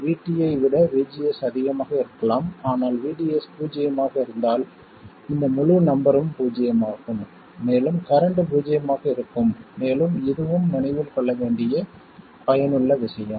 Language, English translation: Tamil, VGS could be more than VT but if VDS is 0 this entire number is 0 and the current will be 0 and that is a useful thing to remember also